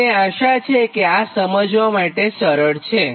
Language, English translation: Gujarati, i hope this, this is very easy to understand